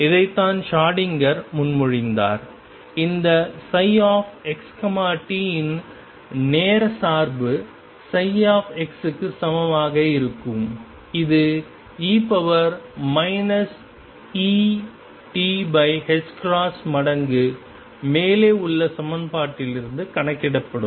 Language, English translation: Tamil, This is what Schrödinger proposed and the time dependence of this psi x t would be equal to psi x that will be calculated from the equation above times e raised to minus I e t over h cross